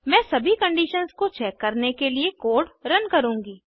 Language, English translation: Hindi, I will run the code to check all the conditions